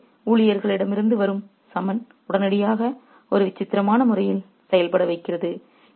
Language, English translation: Tamil, So, the summons from the servant immediately makes them react in a peculiar way